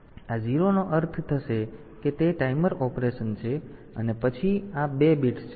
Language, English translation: Gujarati, So, this 0 will mean that it is a timer operation and then these 2 bits